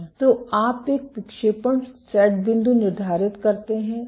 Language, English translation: Hindi, So, you set a deflection set point